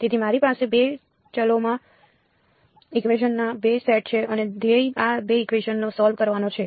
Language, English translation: Gujarati, So, I have 2 sets of equations in 2 variables and the goal is to solve these 2 equations